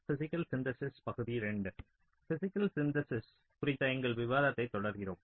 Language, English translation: Tamil, so we continue with our discussion on physical synthesis